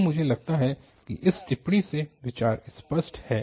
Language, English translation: Hindi, So, I think the idea is clear with this remark